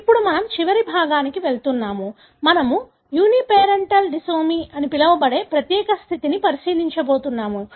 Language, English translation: Telugu, Now, we are going to the last section; we are going to look into unique condition called Uniparental disomy